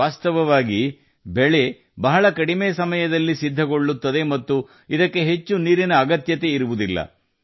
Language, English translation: Kannada, In fact, the crop gets ready in a very short time, and does not require much water either